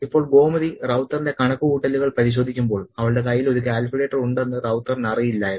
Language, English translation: Malayalam, Now, when Gomati is cross checking the sums of Rau tha, Rau ta doesn't know that she has a calculator at hand